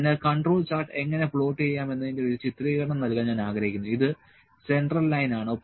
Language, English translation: Malayalam, So, I like to just give you an illustration that how to control chart is plotted, this is central line